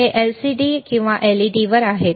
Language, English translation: Marathi, tThis is on LCD or ledLED